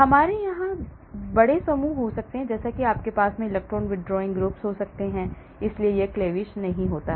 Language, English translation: Hindi, we can have big groups like here you can have electron withdrawing groups, so this cleavage does not happen